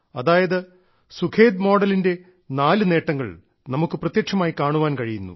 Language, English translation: Malayalam, Therefore, there are four benefits of the Sukhet model that are directly visible